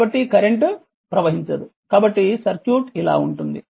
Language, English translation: Telugu, So, that no current will flow so circuit will be like this